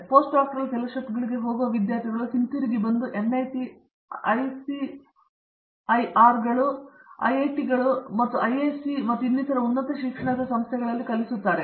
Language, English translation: Kannada, And, the students who go for postdoctoral fellowships they come back and teach at institutes of higher learning like NITs, ICERS, IITs and IISC and so on